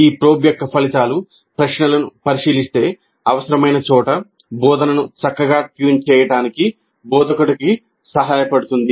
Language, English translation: Telugu, The results of these probing questions would help the instructor to fine tune the instruction where necessary